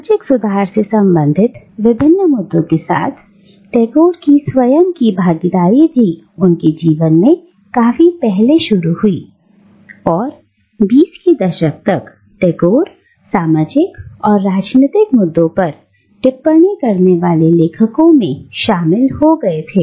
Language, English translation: Hindi, Tagore’s own involvement with various issues pertaining to social reform began quite early in his life and by his 20’s, Tagore was already the author of several essays commenting on the burning social and political issues of the day